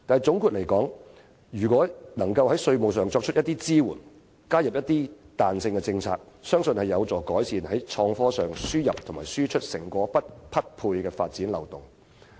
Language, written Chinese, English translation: Cantonese, 總括而言，如果政府能在稅務上作出支援，加入彈性政策，我相信有助改善創科輸入及輸出成果不匹配的發展漏洞。, To sum up I believe the Governments provision of taxation support and addition of flexible policies will help to rectify the development loophole marked by a shortfall between the inputs and outcomes of innovation and technology